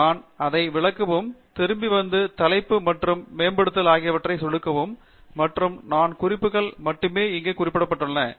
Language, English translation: Tamil, And I would just do that to illustrate, and come back, and click on the Title and Update, and you would see that only four references are present which are been referred here